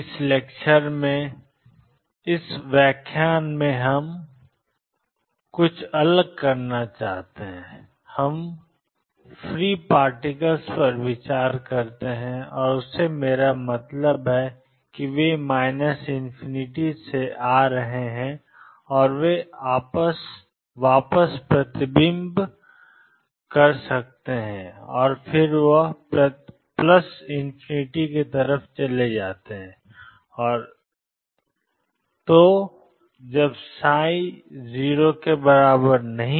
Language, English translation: Hindi, In this lecture, we want to do something different in this lecture, we consider free particles and by that I mean; they are coming from minus infinity may reflect back and go to plus infinity and so on